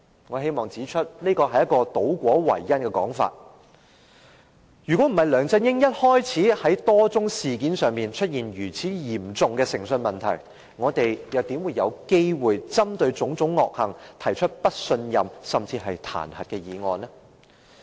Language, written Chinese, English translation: Cantonese, 我希望指出，這是一個倒果為因的說法，如果不是梁振英一開始在多宗事件上出現嚴重的誠信問題，我們又怎會有機會針對其種種惡行，提出不信任、甚至是彈劾議案？, I wish to point out that in so saying you are putting the cart before the horse . If LEUNG Chun - yings integrity has never been in serious doubt in many incidents since his assumption of office how can we have the chance to move motions of no confidence or even the impeachment motion?